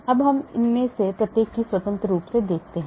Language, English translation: Hindi, now let us look at each one of them independently